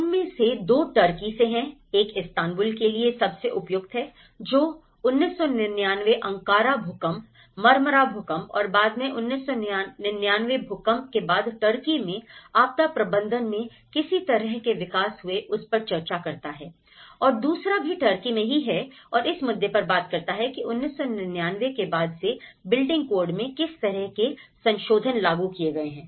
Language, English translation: Hindi, Two of them are from Turkey, one is pertinent to the Istanbul following upon the post 99 the Ankara earthquake, the Marmara earthquakes and the post 99 earthquakes in Turkey and what kind of developments happened in the disaster management in Turkey and the second one focus also in Turkey, it talks about the what kind of revisions and enforcements in the building code have been taken since 1999